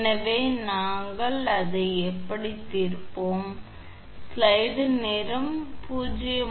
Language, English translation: Tamil, So, it will be how we will solve it